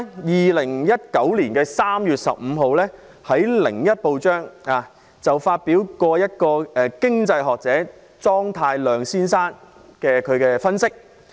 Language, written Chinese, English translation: Cantonese, 2019年3月15日，《香港01》發表一位經濟學者莊太量先生的分析。, On 15 March 2019 Hong Kong 01 published the analysis by Mr ZHUANG Tailiang an economist